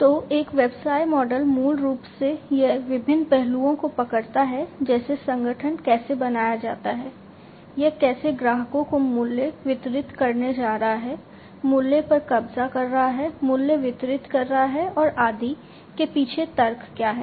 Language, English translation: Hindi, So, a business model basically you know it captures the different aspects such as the rationale behind how the organization is created, how it is going to deliver value to the customers, capturing the value, delivering the value, and so on